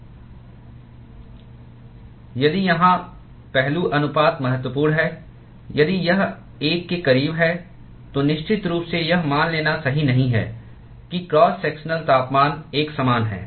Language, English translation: Hindi, If it is if the aspect ratio is significant, if it is close to one, certainly it is not correct to assume that the cross sectional temperature is uniform